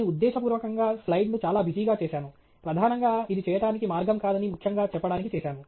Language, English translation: Telugu, I have deliberately made the slide very busy; primarily to highlight that this is not the way to do it